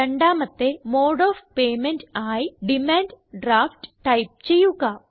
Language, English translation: Malayalam, Next, lets type the second mode of payment as Demand Draft